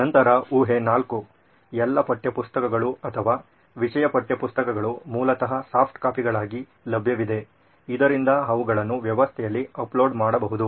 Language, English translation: Kannada, Then assumption four would be all the textbooks or subject textbooks basically are available as soft copies, so that they can be uploaded into the system